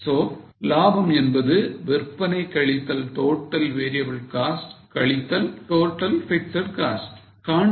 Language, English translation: Tamil, So, profit is sales minus total variable cost minus total fixed costs